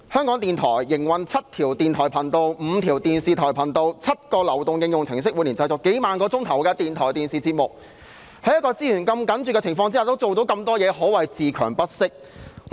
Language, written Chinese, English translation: Cantonese, 港台營運7條電台頻道、5條電視頻道、7個流動應用程式，每年製作數萬小時的電台和電視節目，在資源如此緊絀的情況下仍然做到那麼多工作，可謂自強不息。, RTHK operates seven radio channels five television channels and seven mobile applications and produces tens of thousands of hours of radio and television programmes each year . As it is able to do so much work despite tight resources it has indeed striven to stand on its own feet